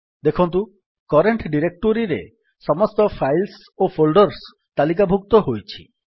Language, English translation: Odia, You can see, it lists all the files and folders in the current directory